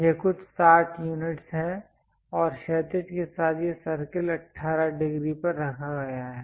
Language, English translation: Hindi, It is some 60 units and this circle with horizontal is placed at 18 degrees